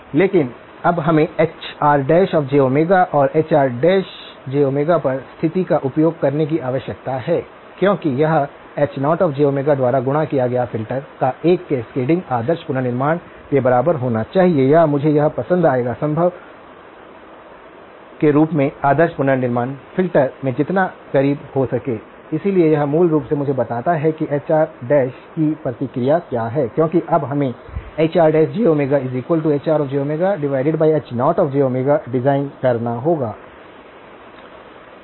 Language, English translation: Hindi, But we need now need to use Hr prime of j Omega and the condition on Hr prime of j Omega is that Hr prime of j Omega since it is a cascading of filters multiplied by H naught of j Omega must be equal to the ideal reconstruction or I would like it to be as close to the ideal reconstruction filter as possible okay, so this basically tells me that what is the response of this Hr prime because now we have to design Hr prime to be equal to Hr of j Omega divided by H naught of j Omega